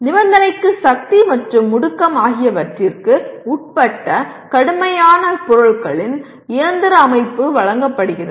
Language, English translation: Tamil, The condition is given mechanical system of rigid objects subjected to force and acceleration